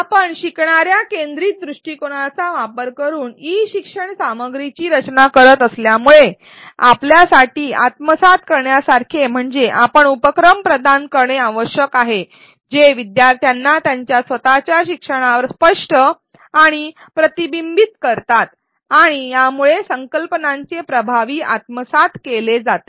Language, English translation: Marathi, The takeaway for us as we design e learning content using a learner centric approach is that we need to provide activities which make learners articulate and reflect on their own learning and this enables effective assimilation of the concepts